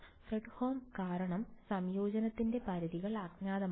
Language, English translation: Malayalam, Fredholm, because the limits of integration unknown